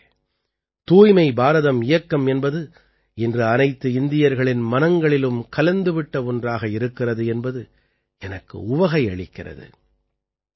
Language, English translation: Tamil, Friends, I am happy that the 'Swachh Bharat Mission' has become firmly rooted in the mind of every Indian today